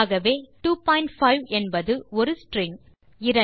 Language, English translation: Tamil, Hence 2.5 is a string